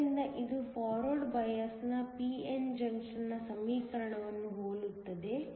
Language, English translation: Kannada, So, this is similar to the equation for a p n junction in forward bias